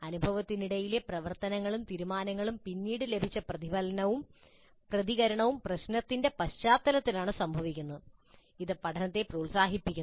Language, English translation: Malayalam, The activities and decisions made during the experience and the later reflection and feedback received occur in the context of the problem and this promotes learning